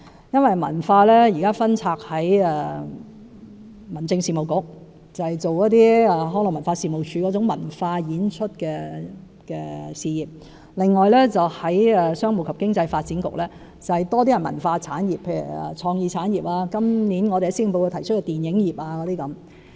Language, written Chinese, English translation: Cantonese, 現時文化工作分拆，由民政事務局負責康樂及文化事務署的文化演出事業；商務及經濟發展局則較多是一些文化產業，如創意產業，以及今年施政報告提及的電影業等。, Cultural work is now administered separately by different bureaux with the Home Affairs Bureau being responsible for cultural performance activities managed by the Leisure and Cultural Services Department whilst the Commerce and Economic Development Bureau is in charge of mainly the cultural industries such as the creative industries and the film industry mentioned in this years Policy Address etc